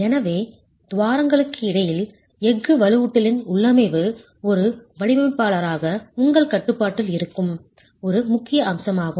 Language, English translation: Tamil, So, configuration of the steel reinforcement within the cavity is an important aspect that as a designer is under your control